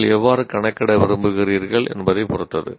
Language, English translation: Tamil, It depends on how you want to compute